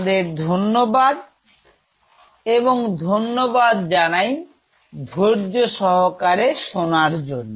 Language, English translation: Bengali, Thank you, thanks for your patience listening